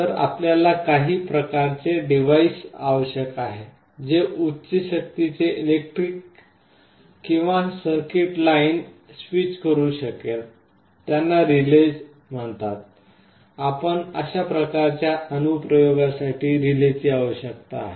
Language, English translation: Marathi, So, you need some kind of a device which can switch high power electric or circuit lines, these are called relays; you need relays for those kind of applications